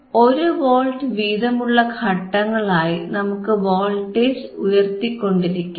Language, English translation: Malayalam, And we can vary the voltage in the steps of 1 volts